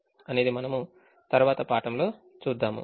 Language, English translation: Telugu, we will see in the next class